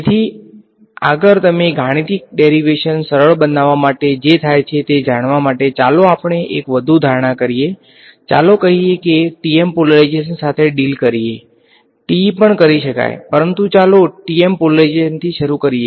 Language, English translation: Gujarati, So, to further you know simplify the mathematical derivation that happens let us make one more assumption, let us say that let us deal with the TM polarization ok, TE can also be done, but let us start with TM polarization